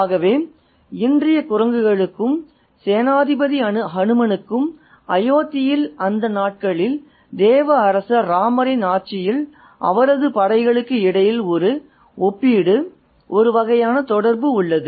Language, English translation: Tamil, So, there is a comparison, a kind of connection or an association that's drawn between the monkeys of today and General Hanuman and his troops of the regime of God King Rama in those days in Ayyodhya